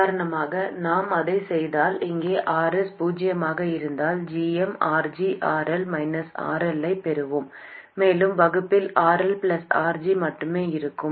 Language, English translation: Tamil, If we do that, for instance, we get, let me substitute that in here, if RS is 0, we will have GM RG RL minus RL and in the denominator we will only have RL plus RG